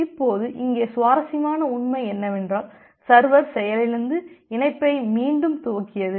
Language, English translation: Tamil, Now the interesting fact here is that, it may happen that the server has crashed and re initiated the connection